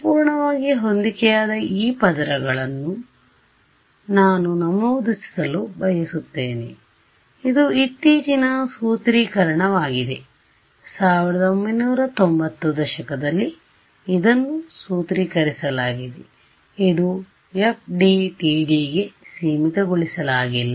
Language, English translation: Kannada, One thing I want to mention this perfectly matched layers, it is a recent sort of formulation 90’s 1990’s is been it was formulated it is not restricted to FDTD